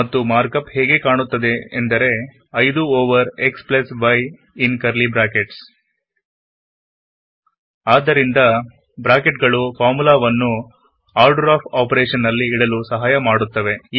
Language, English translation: Kannada, And the mark up looks like: 5 over x+y in curly brackets So using brackets can help set the order of operation in a formula